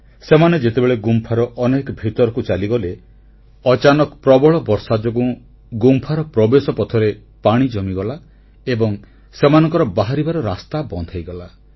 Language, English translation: Odia, Barely had they entered deep into the cave that a sudden heavy downpour caused water logging at the inlet of the cave